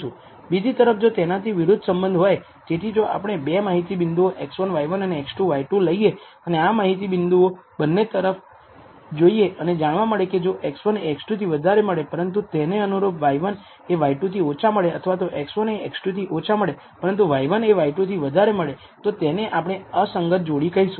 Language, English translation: Gujarati, On the other hand if there is an opposite kind of relationship, so, if you take 2 data points x 1, y 1 and x 2 y 2 and we say that you know we look at the data points and find that if x 1 is greater than x 2, but the corresponding y 1 is less than y 2 or if x 1 is less than x 2, but y 1 is greater than y 2 then we say it is a discordant pair